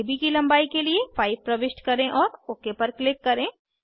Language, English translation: Hindi, Lets enter 5 for length of AB and click ok